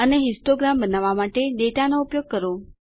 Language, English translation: Gujarati, and Use the data to construct a histogram